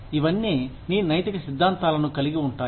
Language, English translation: Telugu, All of this constitutes, ethical theories